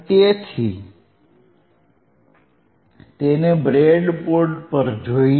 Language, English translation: Gujarati, So, let us see on the breadboard